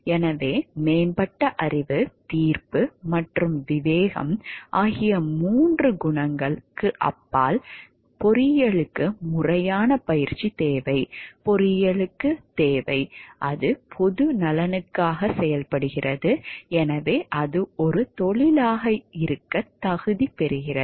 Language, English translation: Tamil, So, beyond the three qualities of having an advanced knowledge, then judgment and discretion, engineering requires formal training, engineering requires like, it is working for the public good and so, it qualifies to be a profession